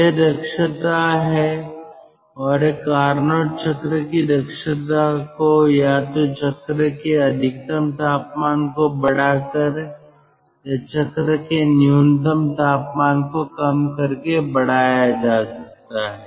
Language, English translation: Hindi, and the efficiency of a carnot cycle can be increased by either by increasing the maximum temperature of the cycle or by minimizing, lowering the minimum temperature of the cycle